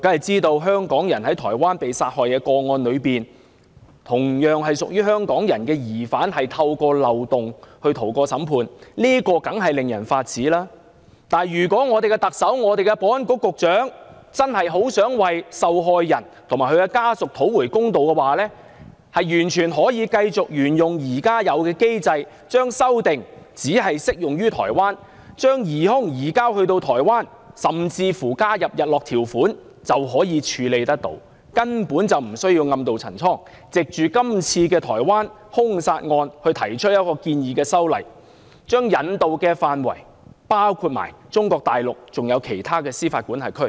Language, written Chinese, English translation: Cantonese, 在香港人在台灣遇害一案中，同為香港人的疑犯透過漏洞而逃過審判，這當然令人髮指；但如果香港的特首、香港的保安局局長真的想為受害人及其家屬討回公道，大可沿用現有機制，將修訂只適用於台灣，以便把疑兇移交至台灣，甚至加設日落條款，根本不需要暗渡陳倉，藉着該案件提出修例建議，將引渡範圍擴大至中國大陸及其他司法管轄區。, If Hong Kongs Chief Executive and Secretary for Security truly intend to bring justice to the victim and her family they can simply adopt the existing approach while focusing the amendments to apply only to Taiwan which will enable the suspects extradition to Taiwan . They can even add a sunset clause to that . They do not have to use the case as a circuitous justification for proposing a law change that extends extradition to Mainland China and other jurisdictions